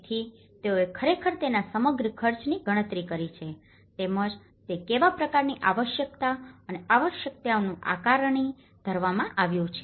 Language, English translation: Gujarati, So, they have actually calculated the whole expenditure of it and as well as what kind of requirement and needs assessment has been done